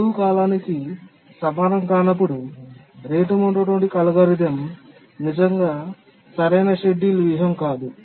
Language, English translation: Telugu, So, in cases where deadline is not equal to the period, rate monotonic algorithm is not really the optimal scheduling strategy